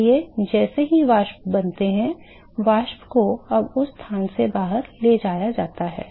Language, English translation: Hindi, So, therefore, as soon as the vapors are formed the vapors are now transported out from that location